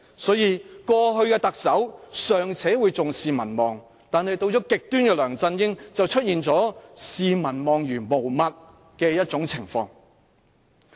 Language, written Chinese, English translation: Cantonese, 所以，過去的特首尚且會重視民望，但到了極端的梁振英當權，就出現特首視民望如無物的情況。, Chief Executives of previous terms of Government would at least attach certain importance to popularity but the more extreme LEUNG Chun - ying cares nothing about popularity when he is in power